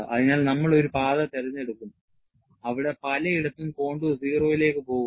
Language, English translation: Malayalam, So, we will choose a path, where the contour goes to 0 at many places